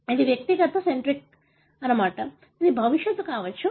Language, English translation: Telugu, So, that is the individual centric; so, that may be the future